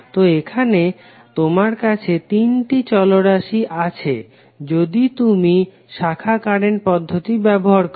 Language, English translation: Bengali, So here, you have 3 variables if you use branch current method